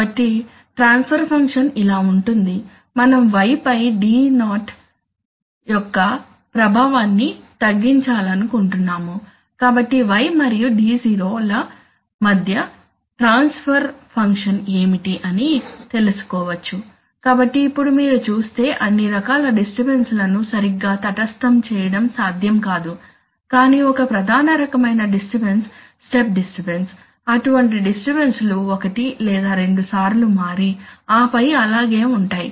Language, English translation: Telugu, So, it turns out that the transfer function we want to reduce the effect of the, we want to reduce the effect of d0 on y, so what is the transfer function between y and d0 that turns out to be this, so now again we see that if you have so, you know, it is not possible to exactly neutralize all kinds of disturbances but let us say one of the major kinds of disturbance is, step disturbance again, that disturbances will change once or twice and then stay on okay